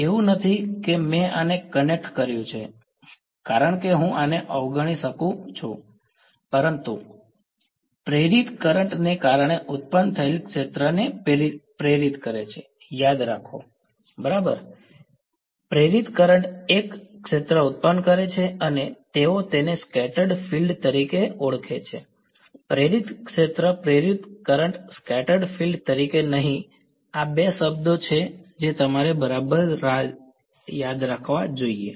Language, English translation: Gujarati, It is not that because I connected this now I can ignore these the induce the field produced due to induced current; remember right, induced current produces a field and they call it as scattered field, not induced field induced current scattered field these are the two terms you should keep ok